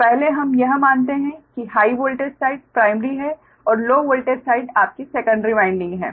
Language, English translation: Hindi, so first, ah, let us assume high voltage side is primary and low voltage side is ah, your secondary windings